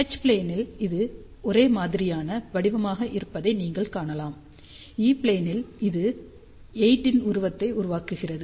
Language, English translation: Tamil, So, you can see that in H plane, it is uniform pattern, whereas in E plane it forms figure of a